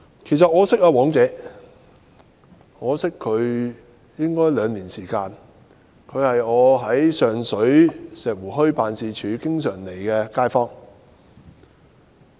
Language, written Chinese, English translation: Cantonese, 其實，我認識"黃姐"已兩年，她是經常到訪我在上水石湖墟的辦事處的街坊。, In fact I have known Madam WONG for two years . She is a local resident who has made frequent visits to my office in Shek Wu Hui in Sheung Shui